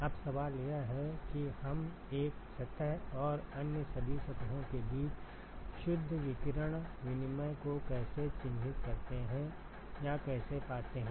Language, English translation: Hindi, Now, the question is how do we characterize or how do we find the net radiation exchange between one surface and all other surfaces